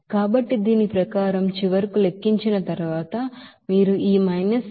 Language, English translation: Telugu, So according to this finally after calculation you can get this 88